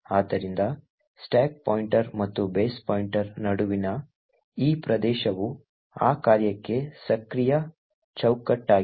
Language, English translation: Kannada, So this region between the stack pointer and the base pointer is the active frame for that particular function